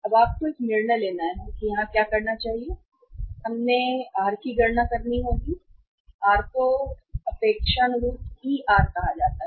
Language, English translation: Hindi, Now you have to take a decision what should be do here and we have to calculate the r, r is called as I expected Er you can say expected rate of return